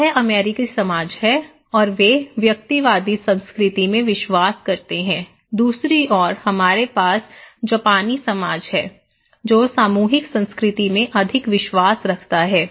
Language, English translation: Hindi, So, this is American society and they believe in individualistic culture, on the other hand, we have Japanese society which is more in collective culture